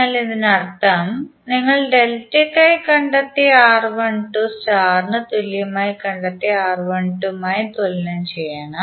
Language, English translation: Malayalam, So that means that, you have to equate R1 2 for star equal to R1 2 for delta